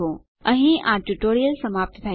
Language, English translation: Gujarati, This concludes this tutorial